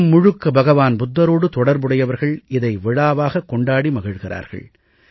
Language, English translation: Tamil, Followers of Lord Budha across the world celebrate the festival